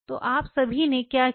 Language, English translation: Hindi, So, what all you did